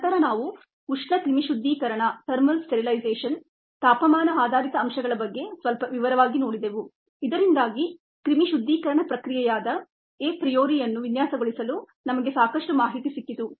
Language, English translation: Kannada, then we saw thermal sterilization the temperature based aspect in some detail so that we had enough information to ah we able to design a priory, this sterilization process